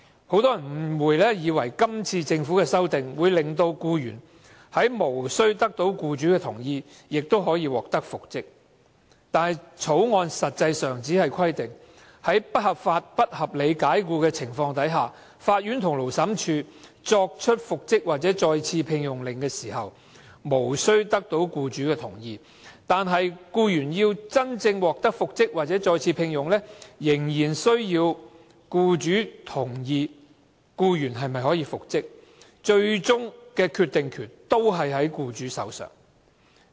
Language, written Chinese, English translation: Cantonese, 很多人誤會政府今次提出的《條例草案》，能令僱員在無須得到僱主的同意下亦能復職，但《條例草案》實際上只是規定，僱員若遭不合理及不合法解僱，法院和勞審處作出復職或再次聘用的命令時，無須得到僱主的同意，但僱員要真正獲得復職或再次聘用，仍需要僱主同意，最終的決定權仍在僱主手上。, Many people mistakenly think that the Bill now proposed by the Government can reinstate the employee without the employers agreement . But actually the Bill provides that only when a dismissal is an unreasonable and unlawful can the court or Labour Tribunal make an order for reinstatement or re - engagement without the agreement of the employer . But the reinstatement or re - engagement of the employee still needs the employers agreement and hence the final decision still rests with the employer